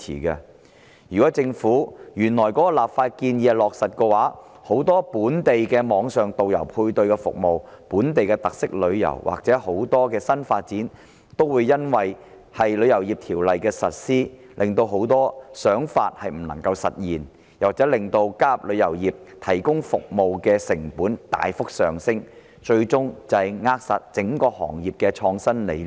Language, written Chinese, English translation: Cantonese, 如果落實政府這項立法建議，本地的網上導遊配對服務、本地特色旅遊或新發展等很多想法，都會因為《條例草案》的實施而不能夠實現，又或令加入旅遊業提供服務的成本大幅上升，最終扼殺整個行業的創新理念。, If this legislative proposal of the Government is enforced many ideas such as local online guide - matching services tourism projects with local characteristics or other new developments will not be able to take forward due to the implementation of the Bill; or the cost of joining the travel industry will be substantially increased . Eventually innovative ideas in the entire industry will be throttled